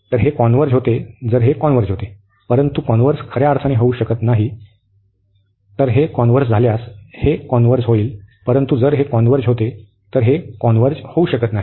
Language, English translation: Marathi, So, this converge so if this converges, but the converse is not true meaning that so this will converge if this converges, but if this converges this may not converge